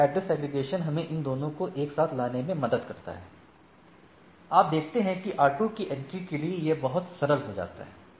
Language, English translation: Hindi, So, these address aggregations helps us in clubbing these two, all this together for the rest of the so, you see for the entry of the R2 becomes much simplified right